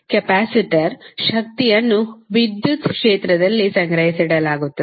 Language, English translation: Kannada, Capacitor is stored energy in the electric field